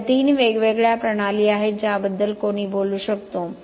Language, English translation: Marathi, So, this are the three different systems that one can talk about